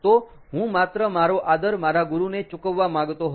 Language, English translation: Gujarati, ok, all right, so i wanted to just pay my respect to my guru, all right